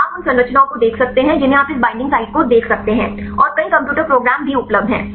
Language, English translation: Hindi, So, you can look at structures you can see this binding site, and also a lot of several computer programs available